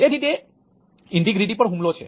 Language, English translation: Gujarati, so that is a attack on integrity